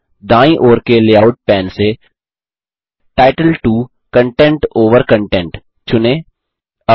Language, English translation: Hindi, Now, from the layout pane on the right hand side, select title 2 content over content